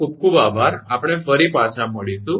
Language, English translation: Gujarati, Thank you very much, we will back again